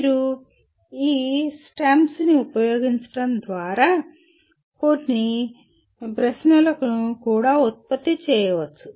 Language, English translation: Telugu, And you can also produce more questions by using these STEMS